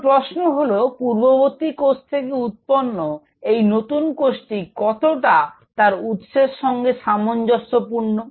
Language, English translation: Bengali, Now the question is how much closely this new cell which arose from the pre existing cell is similar to its parent